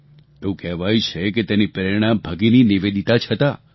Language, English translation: Gujarati, It is said that Bhagini Nivedita was the inspiration